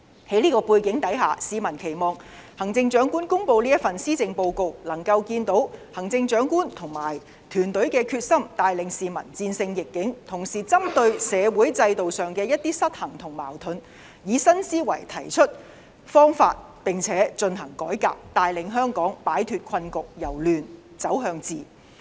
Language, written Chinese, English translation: Cantonese, 在這個背景下，市民期望行政長官公布的施政報告能夠看到行政長官和團隊的決心，帶領市民戰勝逆境；同時針對社會制度上的一些失衡和矛盾，以新思維提出方法並且進行改革，帶領香港擺脫困局，由亂走向治。, Against this background members of the public hope that through the Chief Executives Policy Address they can see a determined Chief Executive and her team lead them to overcome the adversity . And at the same time people also hope that in the face of certain imbalances and conflicts in our social system they will think out of the box and launch social reform so as to lead Hong Kong out of the current predicament and to bring chaos into order